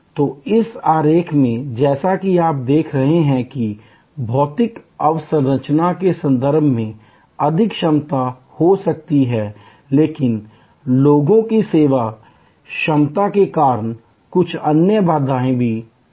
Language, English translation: Hindi, So, in this diagram as you can see there can be a maximum capacity in terms of the physical infrastructure, but there can be some other constraints due to the capacity of the service people